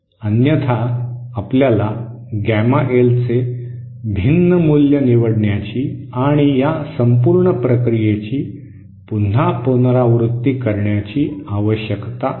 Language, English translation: Marathi, Otherwise, you need to choose a different value of gamma L and repeat this whole process again